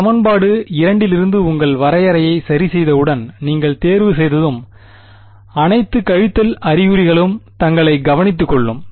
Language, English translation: Tamil, Once you choose once you fix your definition from equation 2, all the minus signs take care of themselves ok